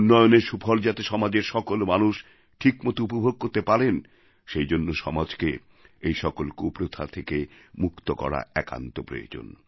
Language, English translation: Bengali, In order to ensure that the fruits of progress rightly reach all sections of society, it is imperative that our society is freed of these ills